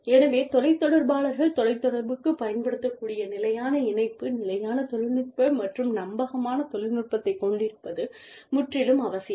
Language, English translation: Tamil, So, it is absolutely essential, that the telecommuters are, have a stable connection, stable technology, dependable technology, that they can use to telecommute